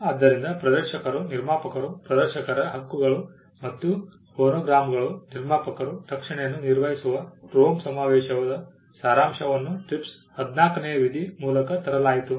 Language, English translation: Kannada, So, the gist of the Rome convention which dealt with protection of performers, producers, rights of performers and producers of phonograms was also brought in through Article 14 of the TRIPS